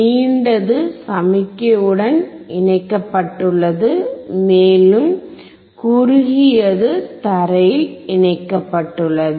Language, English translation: Tamil, The longer one wherever you see is connected to the signal, and the shorter one is connected to the ground